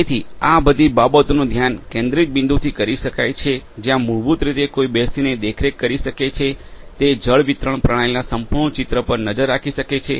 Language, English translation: Gujarati, So, all of these things can be monitored from a central point where basically one can sit and monitor have a look at the complete picture of the water distribution system